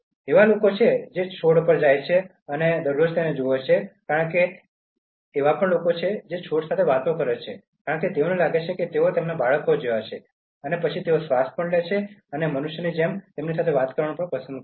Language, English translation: Gujarati, There are people who go to plants, they watch them every day because there are people who talk to plants, because they feel that they are like their children and then they breathe and they like human beings going and talking to them